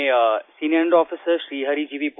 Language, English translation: Hindi, This is senior under Officer Sri Hari G